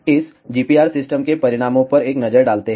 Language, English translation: Hindi, Let us have a look at the results of this GPR system